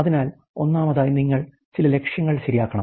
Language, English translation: Malayalam, So, first of all you have to set some of objectives right